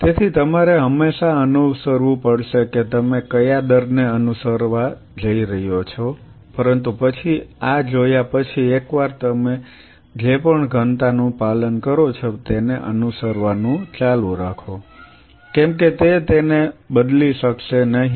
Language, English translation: Gujarati, So, you will always have to optimize what rate you are going to follow, but then having seen this, whatever density you follow once you have to keep on following that it cannot change it